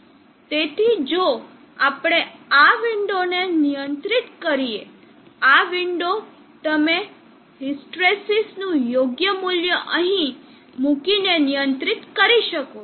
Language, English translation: Gujarati, So if we control this window, this window you can control by putting the proper value of results here